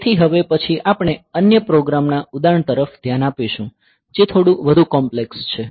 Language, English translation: Gujarati, So, next we will look into another example program; so, which is slightly more complex